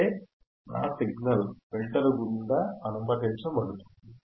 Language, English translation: Telugu, That means, again my signal is allowed to pass through the filter,